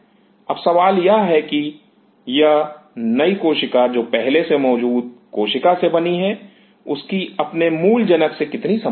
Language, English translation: Hindi, Now the question is how much closely this new cell which arose from the pre existing cell is similar to its parent